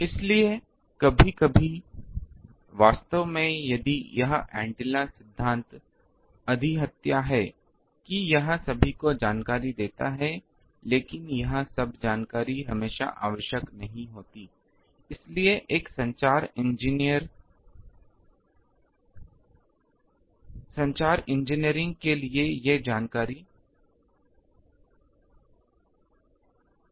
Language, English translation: Hindi, So, sometimes actually if this theory analysis is overkill that it gives all the information, but all that information is not always necessary, so if a communication engineering these information is enough